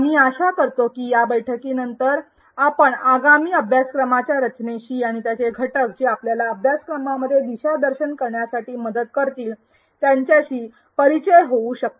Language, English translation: Marathi, We hope that after going through this session, you would have become familiar with the upcoming course structure and its elements which will help you in navigating through the course